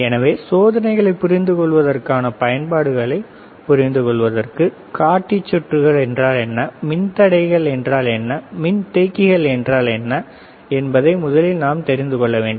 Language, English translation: Tamil, So, for understanding the applications for understanding the experiments, we should first know what are the indicator circuits, what are the resistors, what are capacitors, right